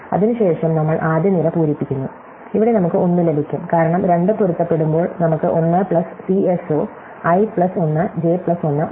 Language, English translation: Malayalam, Then, we fill up the first column and here we get a 1, because when the two match, we have 1 plus LCS of, i plus 1, j plus 1